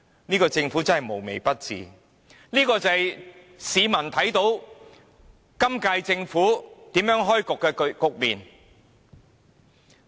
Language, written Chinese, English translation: Cantonese, 這個政府真的無微不至，這就是市民所看到由本屆政府開創的局面。, This Government is really so very caring in every way . Well this is how the current Government has started